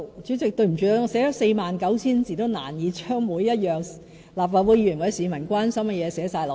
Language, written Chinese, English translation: Cantonese, 主席，對不起，即使我寫了 49,000 字，也難以將立法會議員或市民關心的每一事項包括在內。, President I sorry to say that even though I have written 49 000 words it is still difficult to cover each and every concern of Members and the public